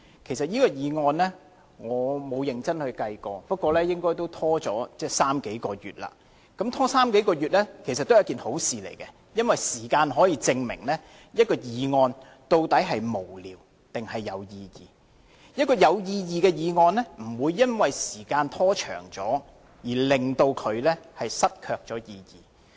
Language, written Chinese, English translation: Cantonese, 就這項譴責議案，我沒有認真計算過，不過也拖延了三數個月，而拖延了三數個月也是好事，因為時間可以證明一項議案究竟是否無聊，還是有意義？有意義的議案不會因為時間被拖長而失卻意義。, I did not do any serious calculation but the debate on this censure motion has been put off for some three months . Such a delay lasting for few months is actually a good thing because time will tell if a motion is vague or meaningful